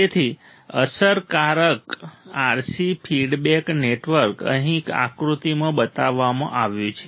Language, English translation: Gujarati, So, the effective RC feedback network is shown in figure here right